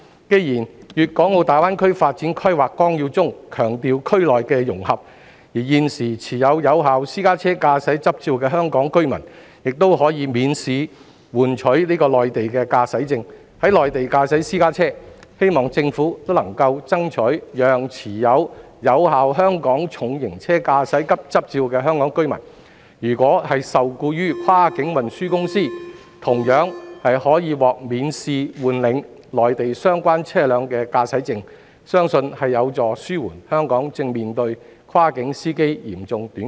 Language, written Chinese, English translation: Cantonese, 既然《粤港澳大灣區發展規劃綱要》中強調區內的融合，而現時持有有效私家車駕駛執照的香港居民，已可免試換領內地駕駛證，在內地駕駛私家車，我希望政府能夠爭取讓持有有效香港重型車駕駛執照的香港居民，如果受僱於跨境運輸公司，同樣可獲免試換領內地相關車輛的駕駛證，相信這有助紓緩香港正面對跨境司機嚴重短缺的問題。, Since the Outline Development Plan for the Guangdong - Hong Kong - Macao Greater Bay Area emphasizes integration within the area Hong Kong residents holding a valid private car driving licence can now drive private cars in the Mainland by applying for direct issue of a Mainland driving licence without taking the driving test . I hope that the Government will try to lobby for the Mainlands permission for Hong Kong residents who hold a valid Hong Kong heavy vehicle driving licence to likewise get a Mainland driving licence of the type of vehicle concerned without taking the driving test if they are employed by a cross - boundary transport company . I believe this will help to alleviate the severe shortage of cross - boundary drivers currently faced by Hong Kong